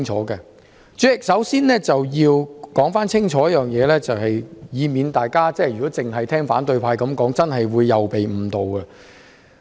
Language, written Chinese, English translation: Cantonese, 代理主席，首先要說清楚一點，以免大家只聽反對派所說，便會被誤導。, Deputy President we have to set the record straight from the outset lest one should be misled if he only listens to the opposition camp